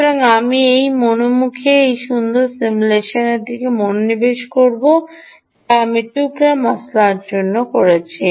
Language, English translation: Bengali, so let me turn my attention to this nice simulation ah which i have done on for ah piece spice